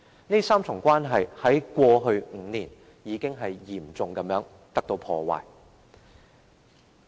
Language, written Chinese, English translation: Cantonese, 這3重關係在過去5年已經被嚴重破壞。, This tripartite relationship has been severely ruined over the past five years